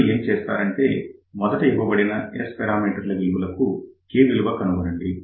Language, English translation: Telugu, So, now, for given S parameters what you do, first you find the value of K